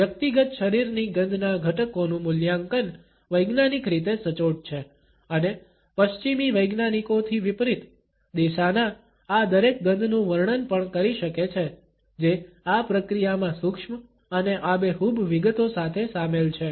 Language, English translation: Gujarati, The assessment of the components of personal body odor is scientifically accurate and unlike western scientists, the Desana are also able to describe each of these smells which are involved in this process in minute and vivid detail